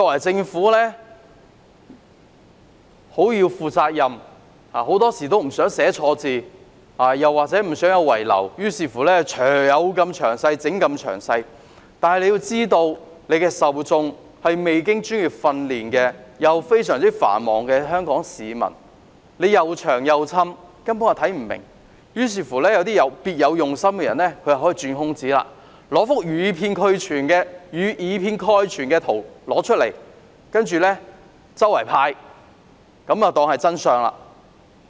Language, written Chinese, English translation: Cantonese, 政府當然要負責任，很多時不想寫錯字或有所遺漏，於是宣傳品能有多詳細便多詳細，但要知道受眾是未經專業訓練且非常繁忙的香港市民，宣傳品過於冗贅，市民根本看不明，讓別有用心的人有機會鑽空子，拿一幅以偏概全的圖出來，當作真相四處派發。, Very often in order to avoid mistakes or omissions the Government tries to include as many details as possible in publicity materials . Yet it should be noted that the targets of publicity being ordinary Hong Kong people do not have professional training and are very busy . They simply do not understand the superfluous publicity materials